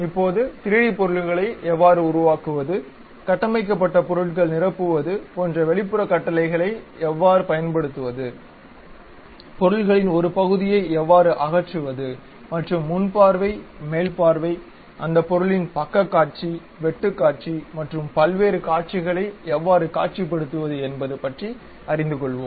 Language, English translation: Tamil, Now, we will learn about how to construct 3D objects, how to use extrude kind of commands filling the materials constructed, how to remove part of the materials and how to visualize different views like front view, top view, side view of that object and cut sections of that